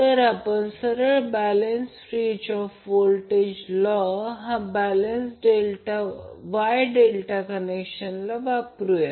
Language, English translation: Marathi, We will simply apply Kirchoffs Voltage Law to the balanced Wye delta connection